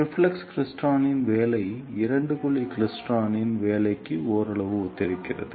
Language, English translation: Tamil, The the working of reflex klystron is somewhat similar to the working of two cavity klystron